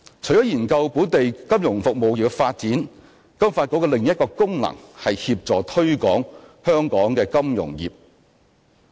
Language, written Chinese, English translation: Cantonese, 除研究本地金融服務業的發展，金發局的另一功能是協助推廣香港金融業。, Apart from examining the development of local financial services industry another function of FSDC is to assist in the promotion of our financial industry